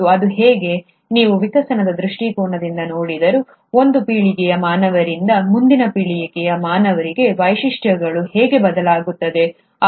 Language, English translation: Kannada, And how is it, even if you look at from the evolution perspective, how is it from one generation of humans, to the next generation of humans, the features are changing